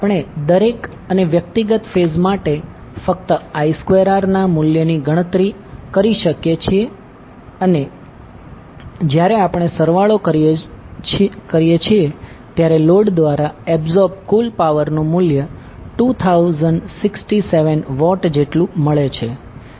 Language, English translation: Gujarati, We can just calculate the value of I square r for each and individual phases and when we sum up we get the value of total power absorbed by the load is equal to 2067 watt